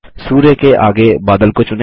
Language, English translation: Hindi, Select the cloud next to the sun